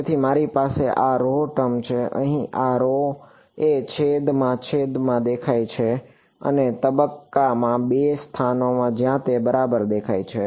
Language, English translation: Gujarati, So, I have this rho term over here this is rho is appearing in the denominator in the amplitude and in the phase the 2 places where it is appearing right